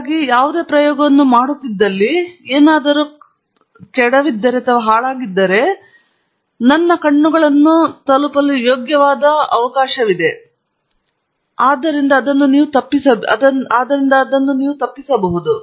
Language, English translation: Kannada, So, if I am doing any experiment, if something spills, there is fair chance that it can reach my eyes and that is something that we need to avoid